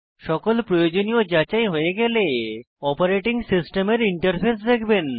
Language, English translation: Bengali, When all the necessary checks are done, you will see the operating systems interface